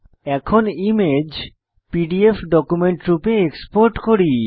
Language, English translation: Bengali, Next lets export the image as PDF document